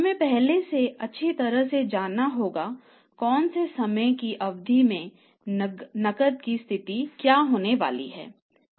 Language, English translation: Hindi, We have to know in advance well in advance that what is going to be the cash position over a period of time